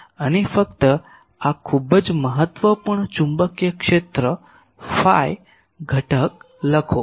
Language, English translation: Gujarati, And just write this very important magnetic field, the phi component